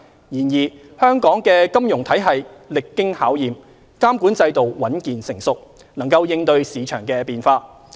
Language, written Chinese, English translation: Cantonese, 然而，香港的金融體系歷經考驗，監管制度穩健成熟，能應對市場變化。, Nevertheless Hong Kongs financial system has withstood crises one after another . With our resilient regulatory regime Hong Kong can cope with market volatility